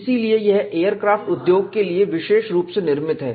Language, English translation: Hindi, So, it is tailor made to aircraft industry